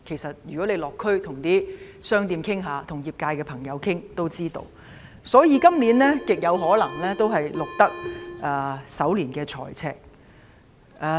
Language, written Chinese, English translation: Cantonese, 如果大家落區跟商店及業界朋友傾談也會知道，所以，今年極有可能會錄得首年的財政赤字。, Members will know if they have visited the districts and talked to the shops and members of the industries . Therefore it is highly likely that a fiscal deficit will be recorded this year